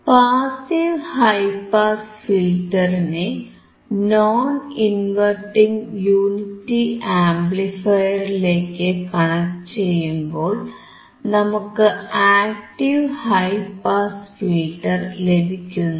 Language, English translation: Malayalam, When we connect the passive high pass filter to the non inverting unity amplifier, then we get active high pass filter